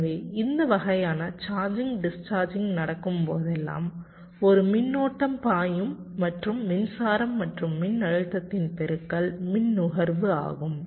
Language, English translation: Tamil, so whenever there is a this kind of charging, discharging going on, there will be a current flowing and the product of currents and voltage will be the power consumption